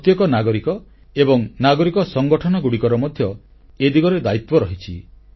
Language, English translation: Odia, Every citizen and people's organizations have a big responsibility